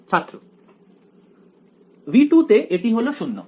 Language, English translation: Bengali, In V 2 it is 0